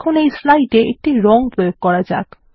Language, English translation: Bengali, Now, lets apply a color to the slide